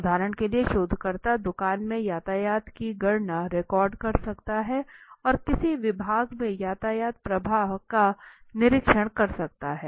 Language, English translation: Hindi, Right for example the researcher might record traffic counts and observe traffic flows in a department store